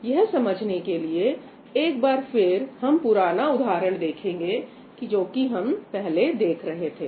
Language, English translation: Hindi, So, let us again look at the same example that we were looking at earlier